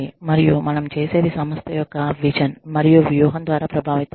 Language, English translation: Telugu, And, what we do is influenced by, the vision and strategy of the organization